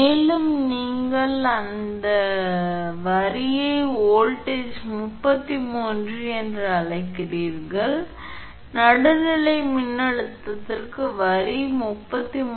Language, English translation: Tamil, And your, what you call that line to line voltage 33, so line to neutral voltage 33 by root 3